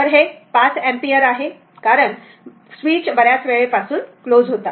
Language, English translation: Marathi, So, it is 5 ampere because the switch was closed for a long time